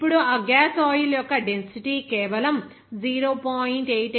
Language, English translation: Telugu, Now, the density of that gas oil, then it will be simply 0